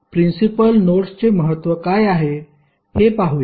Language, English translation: Marathi, So, let us see what is the significance of the principal nodes